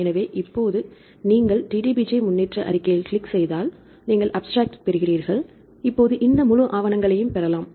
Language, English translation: Tamil, So, now you get the click on the DDBJ progress report, you get the abstract and here you can see get this full paper